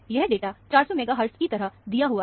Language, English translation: Hindi, The data is given as 400 megahertz